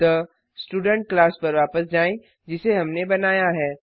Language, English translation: Hindi, So let us come back to the Student class which we created